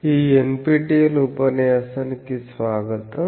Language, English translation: Telugu, Welcome to this NPTEL lecture